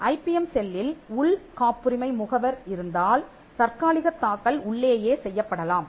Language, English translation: Tamil, If the IPM cell has an in house patent agent, then the filing of the provisional can be done in house itself